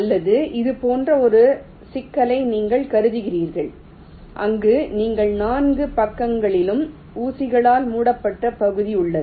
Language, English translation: Tamil, or you consider a problem like this where you have an enclosed region by pins on all four sides